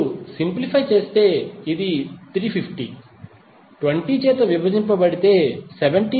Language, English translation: Telugu, If you simplify, this will become 350 divided by 20 is nothing but 17